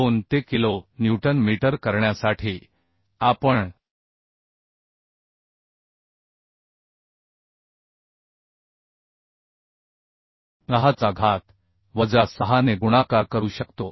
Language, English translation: Marathi, 2 and to make it kilo newton meter we can multiply 10 to the minus 6 So 65